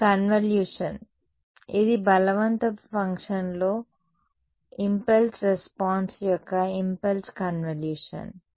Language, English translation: Telugu, It is the convolution its the impulse convolution of impulse response with the forcing function right